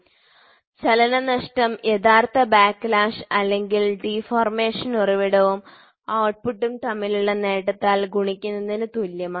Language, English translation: Malayalam, Hence, lost motion is equal to actual backlash or deformation multiplied by the gain between the source and the output